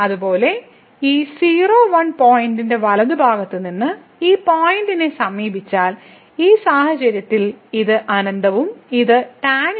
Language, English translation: Malayalam, Similarly, if we approach this point from the right side of this point, then in this case this will become infinity and the tan inverse infinity